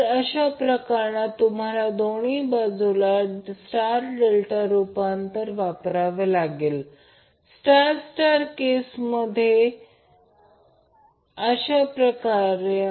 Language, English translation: Marathi, So what you have to do in that case, you have to use star delta transformation on both sides, convert them into star star combination